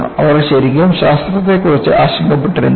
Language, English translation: Malayalam, So, they were not really worried about Science